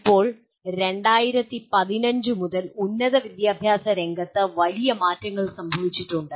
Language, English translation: Malayalam, Now, since 2015 there have been major changes in the field of higher education